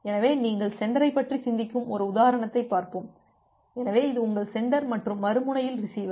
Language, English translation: Tamil, So, let us look into one example that if you just think about sender; so, this is your sender and the other end you have the receiver